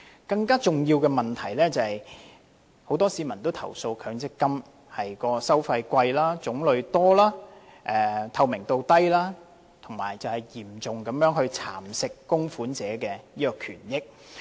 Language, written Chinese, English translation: Cantonese, 更重要的問題是很多市民均投訴強積金收費高、種類多、透明度低，嚴重蠶食供款者的權益。, But a more important issue of the MPF schemes is the complaints from many members of the public about the high fees excessive varieties and low transparency which have eaten significantly into the benefits of contributors